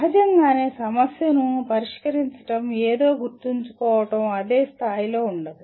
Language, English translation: Telugu, Obviously solving a problem, remembering something is not at the same level